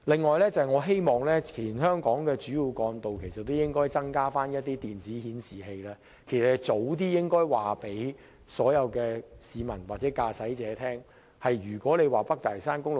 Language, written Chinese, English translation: Cantonese, 我亦希望全香港的主要幹道可增設電子顯示器，以便盡早向市民或駕駛者告知交通狀況。, I also hope that electronic signboards will be installed on all major trunk roads in the territory to inform the public or drivers of the latest traffic conditions